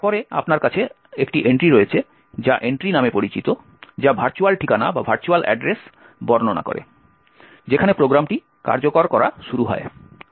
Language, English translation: Bengali, Then you have an entry which is known as Entry, which describes the virtual address, where program has to begin execution